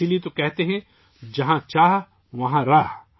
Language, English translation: Urdu, That's why it is said where there is a will, there is a way